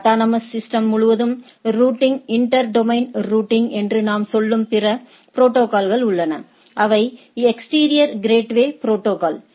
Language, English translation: Tamil, There is other set of protocols which are based on routing across the autonomous system or what we say inter domain routing, and those are exterior gateway protocol